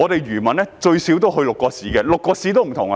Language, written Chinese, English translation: Cantonese, 漁民最少要去6個市，而6個市的模式各有不同。, Fishermen have to go to at least six municipalities and each of the six municipalities has a different model